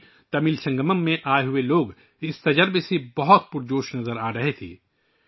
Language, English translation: Urdu, People who came to the KashiTamil Sangamam seemed very excited about this experiment